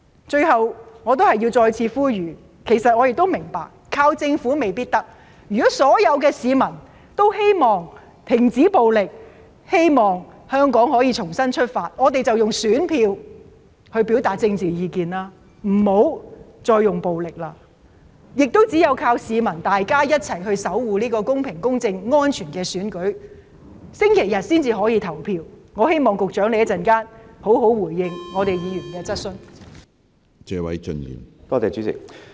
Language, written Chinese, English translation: Cantonese, 最後，我想再次呼籲，其實我亦明白依靠政府未必可以做到這件事，但如果所有市民也希望停止暴力，希望香港可以重新出發，我們便應該用選票來表達政治意見，不應該再使用暴力，亦只有依靠市民一起守護這個公平公正和安全的選舉，市民才可以在星期日順利投票，希望局長稍後會好好回應議員的質詢。, Lastly I appeal again to all members of the public that we should use our ballots to express our political views instead of using violence if we hope that the violence can stop and Hong Kong can start anew which I understand the Government alone may not be able to achieve . Only by relying on the public to safeguard a fair just and safe election can every one of us cast the ballot without any disruption on Sunday . I hope that the Secretary will provide appropriate response to Members questions later on